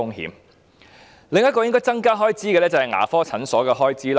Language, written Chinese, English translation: Cantonese, 開支應該增加的另一範疇是牙科診所的開支。, Another area on which expenditure should increase is dental clinics